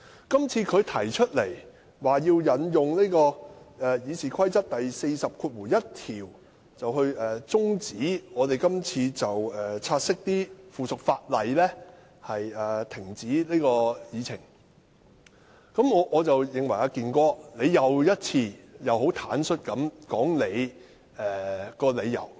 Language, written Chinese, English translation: Cantonese, "健哥"今次引用《議事規則》第401條，就察悉附屬法例的議案動議中止待續議案，再一次坦率說出背後的理由。, This time Brother Kin once again candidly stated why he invoked Rule 401 of the Rules of Procedure RoP to move an adjournment motion in relation to the take - note motion on subsidiary legislation